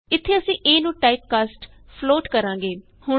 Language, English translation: Punjabi, Here we are typecasting a to float